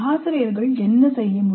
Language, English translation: Tamil, And what can the teachers do